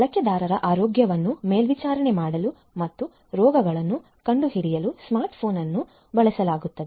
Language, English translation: Kannada, Smart phone is used to monitor the health of users and detect the diseases